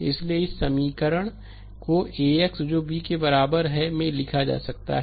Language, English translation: Hindi, So, this equation it can be written as AX is equal to B